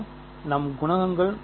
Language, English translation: Tamil, So, this is our coefficients ok